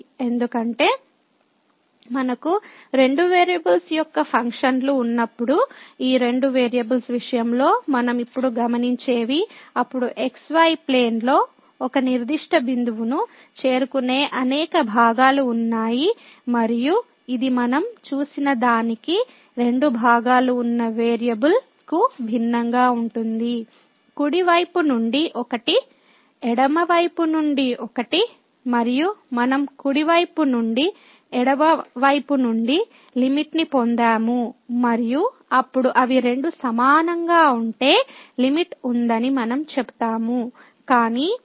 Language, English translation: Telugu, Because what we will observe now in case of these two variable when we have the functions of two variables, then there are several parts which approaches to a particular point in the xy plane and this is completely different what we have seen in case of one variable where there were two parts; one from the right side, one from the left side and we used to get the limit from the right side, from the left side and then, if they both are equal we say that the limit exist